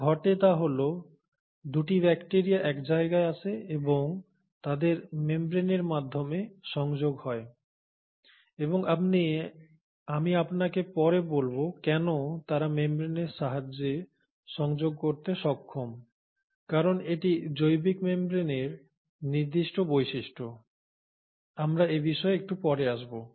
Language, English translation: Bengali, So what happens is the 2 bacterias come together and connect through their membranes and I will tell you later why they are able to connect through membranes because that is the specific property of biological membranes, we will come to it a little later